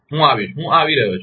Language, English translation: Gujarati, I will come, I will coming now